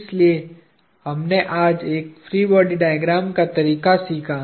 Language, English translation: Hindi, So, we learned the idea of a free body diagram today